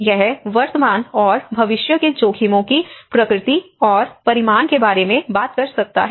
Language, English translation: Hindi, It can talk about the nature and magnitude of current and future risks